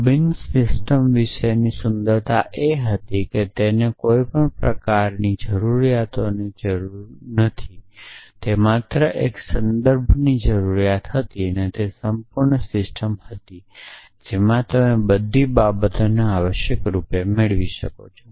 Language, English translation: Gujarati, The beauty about Robinson system was that he did not need any axioms he just needed one rule of inference and that was the complete system you could derive everything all tautologies in that essentially